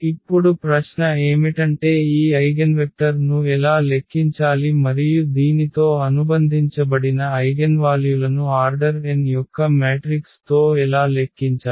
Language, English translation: Telugu, Now, the natural question is how to compute this eigenvector and how to compute the eigenvalues associated with this with the matrix of order n